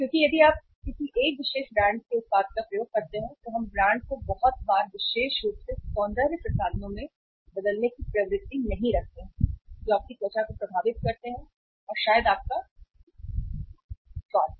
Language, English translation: Hindi, Because if you use a product of a one particular brand we do not tend to change the brand very frequently especially in the cosmetics which affect your skin here and maybe your taste